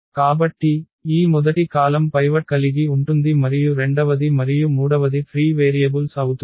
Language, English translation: Telugu, So, this first column will have pivot and the second and the third one will be the free variables